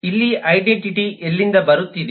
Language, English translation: Kannada, where is the identity coming from